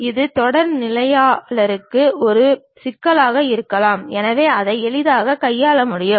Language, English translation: Tamil, For a beginner that might be an issue, so that can be easily handled